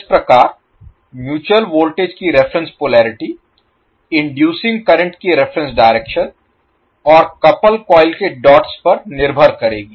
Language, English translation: Hindi, Thus the reference polarity of the mutual voltage depends upon the reference direction of inducing current and the dots on the couple coil